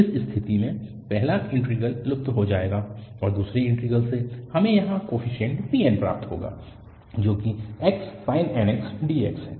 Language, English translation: Hindi, In this case, the first integral will vanish and from the second one, we will get coefficient here bn which is fx sin nx dx